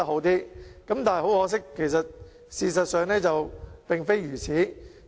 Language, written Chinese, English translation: Cantonese, 但是，很可惜，事實並非如此。, However much to our regret this is not true in reality